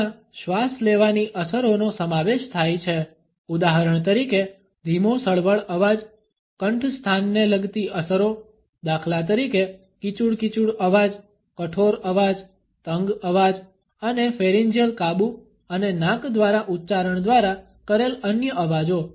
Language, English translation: Gujarati, They include breathing effects, for example whispery voice, laryngeal effects for example, the creaky voice, the harsh voice, the tense voice and others created by pharyngeal control and nasality